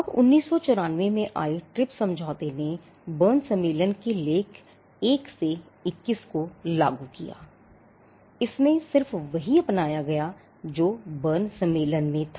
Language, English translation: Hindi, Now, the TRIPS agreement which came in 1994 implemented articles 1 to 21 of the Berne convention; it just adopted what was there in the Berne convention